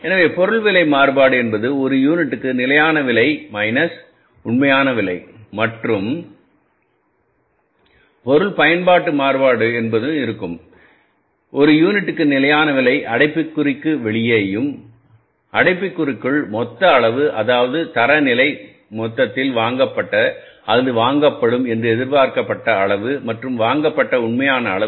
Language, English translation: Tamil, So, material price variance is actual quantity into standard price minus standard price per unit minus actual price per unit and material usage variance is standard price per unit that is outside the bracket and inside the bracket is standard quantity total that is the standard quantity in total which is purchased or which was expected to be purchased and actual quantity which is purchased